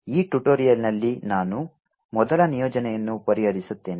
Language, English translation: Kannada, in this tutorial i will be solving the first assignment